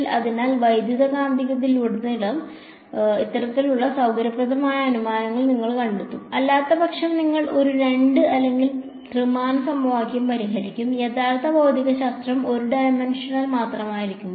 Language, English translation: Malayalam, So, these kind of convenient assumptions you will find made throughout the electromagnetics otherwise unnecessarily you will be solving a 2 or 3 dimensional equation; when actually the actual physics is only 1 dimensional